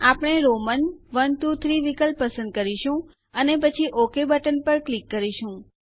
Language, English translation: Gujarati, We will choose Roman i,ii,iii option and then click on the OK button